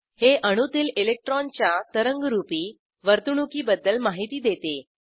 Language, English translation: Marathi, It describes the wave like behavior of an electron in an atom